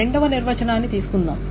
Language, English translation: Telugu, Let us take the second definition